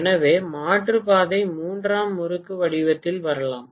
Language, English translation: Tamil, So the alternate path can come in the form of tertiary winding